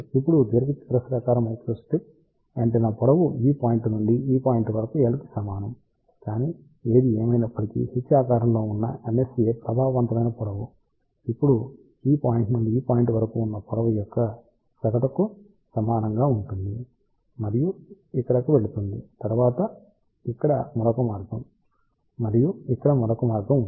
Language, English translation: Telugu, Now, in case of rectangular microstrip antenna length was from this point to this point which was equal to L, but; however, for h shaped MSA effective length will be now equal to average of the lengths from this point to this point and going around up to this here, then another path over here then another path over here